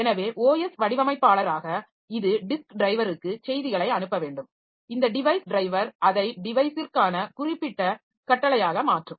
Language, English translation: Tamil, So, as OS designer it has to send messages to the disk driver, this device driver and this device driver will in turn translate it into command specific for the device